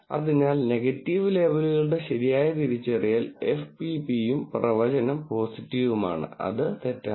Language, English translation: Malayalam, So, correct identification of negative labels F P P, the prediction is positive and it is false